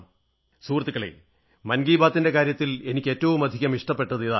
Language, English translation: Malayalam, Friends, this is something I really like about the "Man Ki Baat" programme